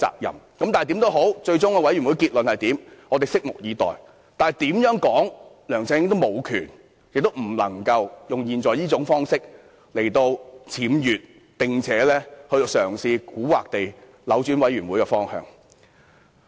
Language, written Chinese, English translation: Cantonese, 最終專責委員會的結論如何，我們拭目以待，但無論如何，梁振英也無權用這種方式來僭越，蠱惑地嘗試扭轉專責委員會的調查方向。, Let us wait and see the conclusion to be made by the Select Committee but in any case LEUNG Chun - ying has no right to deflect and affect in a tricky way the direction of the inquiry to be carried out by the Select Committee